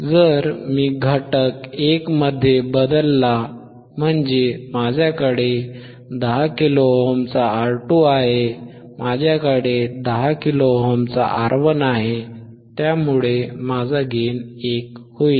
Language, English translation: Marathi, 1, if I make R 2 equals to 10 kilo ohm, 10 kilo ohm by 10 kilo ohm, my gain is 1, if I make R 2 100 kilo ohm , 100 kilo ohm by 10 kilo ohm, my gain becomes 10, right